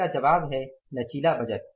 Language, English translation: Hindi, What is the flexible budget